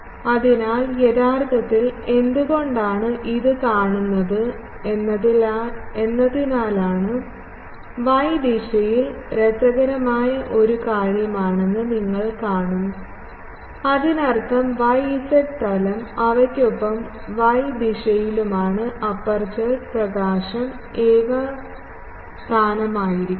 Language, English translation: Malayalam, So, due to actually why it is like this seen you see an interesting thing again you show that it is an interesting thing actually along y direction; that means, yz plane they are the along y direction the aperture illumination is uniform